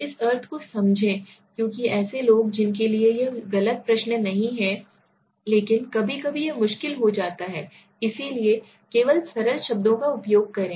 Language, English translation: Hindi, Now in some people might not understand this meaning because people whose this is not a wrong question as such, but sometimes it becomes difficult so use only simple words